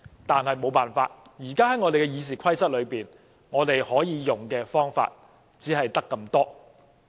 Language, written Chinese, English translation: Cantonese, 但沒有辦法，現時根據《議事規則》，可以使用的方法只有這兩項。, Yet there is no other way . Currently there are only these two methods at our disposal under the Rules of Procedure